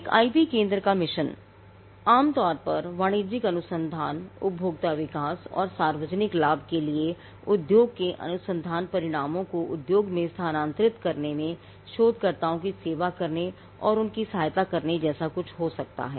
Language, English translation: Hindi, The mission of an IP centre could typically be something like this to serve and assist researchers in the transfer of institutions research results to industry for commercial application, consumer development and public benefit